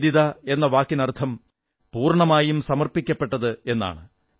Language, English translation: Malayalam, And Nivedita means the one who is fully dedicated